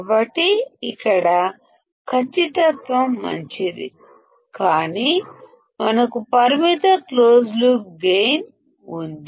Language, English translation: Telugu, So, accuracy is better here, but we have finite closed loop gain